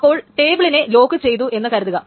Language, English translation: Malayalam, Suppose a particular table is locked